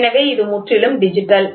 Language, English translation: Tamil, It has become completely digital